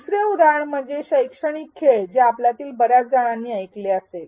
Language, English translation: Marathi, Another example is that of educational games which again many of you may have heard off